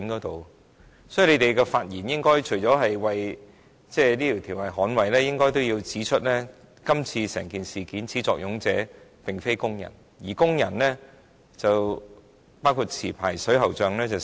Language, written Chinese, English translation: Cantonese, 代表勞工界的議員，除了捍衞《條例草案》外，也應指出整件事的始作俑者並非工人；可是，工人已經成為代罪羔羊。, Members from the labour sector should not just speak up for the Bill they should point out that workers were not the main culprits of the incident . Unfortunately workers including licensed plumbers have now become the scapegoat